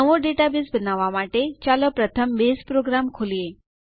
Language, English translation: Gujarati, To create a new Database, let us first open the Base program